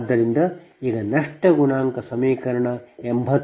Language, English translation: Kannada, this is eighty five equation